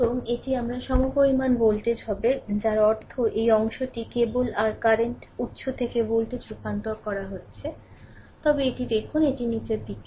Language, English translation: Bengali, And this will be the equivalent voltage I mean you are transforming this portion only from your current source to the voltage, but look at this it is downward